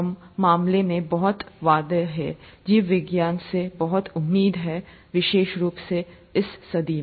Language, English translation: Hindi, In any case, there’s a lot of promise, there’s a lot of expectation from biology, especially in this century